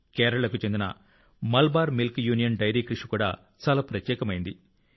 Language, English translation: Telugu, The effort of Malabar Milk Union Dairy of Kerala is also very unique